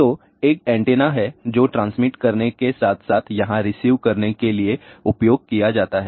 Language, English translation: Hindi, So, there is an antenna which is used for transmit as well as received here